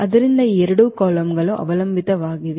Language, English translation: Kannada, So, these two columns are dependent columns